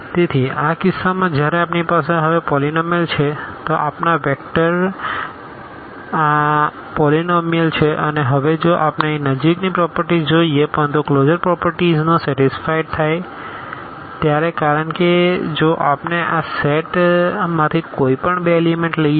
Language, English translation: Gujarati, So, in this case when we have polynomials now so, our vectors are these polynomials and now, again if we look at the closer properties here, but the closure properties are satisfied because if we take any two elements from this set